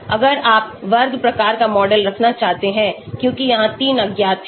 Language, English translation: Hindi, If you want to have square type of model because there are 3 unknowns here